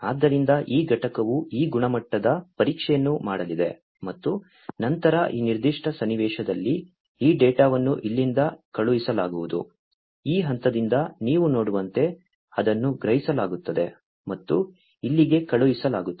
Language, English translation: Kannada, So, this unit is going to do this quality testing, and then this data is going to be sent from here in this particular scenario, as you can see from this point it is going to be sensed and sent over here